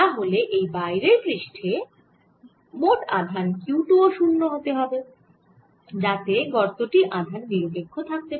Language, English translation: Bengali, so that outerside total charge q two, velocity zero because the cavities is neutral